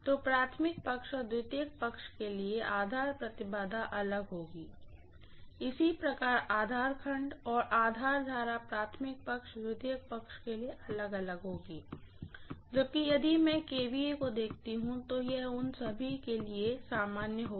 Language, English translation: Hindi, So the base impedance will be different for the primary side and secondary side, similarly base voltages and base currents will be different for the primary side and secondary side, whereas if I look at the kVA, it will be common for all of them